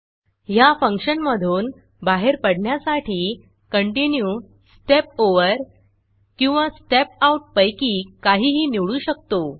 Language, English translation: Marathi, To get out of this function I can either choose Continue, Step Over or Step Out